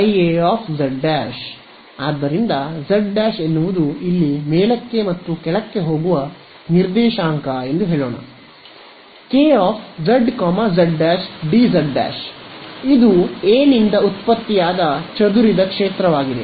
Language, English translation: Kannada, I A z prime; so, let us say z prime is the coordinate that goes up and down over here ok, K of z, z prime d z prime this is the field produced by